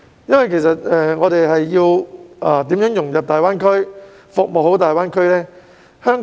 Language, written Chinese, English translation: Cantonese, 香港要如何融入及服務大灣區呢？, How should Hong Kong integrate into and serve GBA?